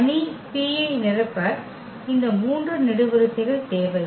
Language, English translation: Tamil, So, we need this 3 columns to fill the matrix P